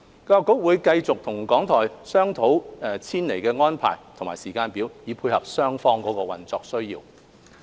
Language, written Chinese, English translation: Cantonese, 教育局會繼續與港台商討遷離安排和時間表，以配合雙方的運作需要。, The Education Bureau will continue to discuss with RTHK on the arrangement and timetable of moving out in order to meet the operational needs of both parties